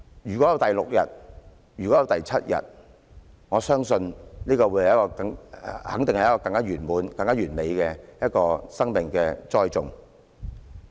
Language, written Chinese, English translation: Cantonese, 如果有第六天或第七天，我相信這樣肯定可以成就一個更完滿、更完美的生命栽種。, If there are day six or day seven I am sure they can definitely help perfect the wonderful nurturing of a new life